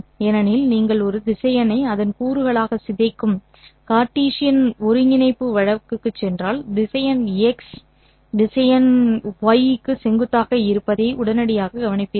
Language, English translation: Tamil, Because if you go back to the Cartesian coordinate case of decomposing a vector into its components you will immediately notice that the vector x is perpendicular to vector y correct